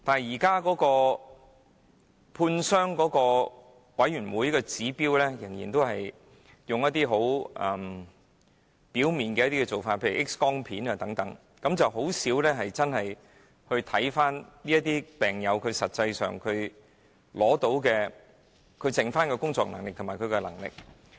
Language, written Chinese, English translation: Cantonese, 現時負責判傷的委員會，仍然以很表面的指標作判斷，例如 X 光片等，甚少真正審視病友實際上剩餘的工作能力和生活自理能力。, At present the committee responsible for medical examination makes judgments on the basis of very superficial indicators such as X - ray films etc . It seldom examines the actual remaining working ability and self - care ability of the patients